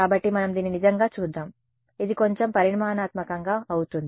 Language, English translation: Telugu, So, let us actually look at it, it will be a little bit more quantitatively ok